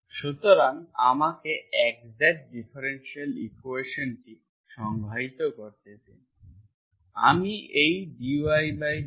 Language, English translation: Bengali, So let me define 1st what is exact equation, exact differential equation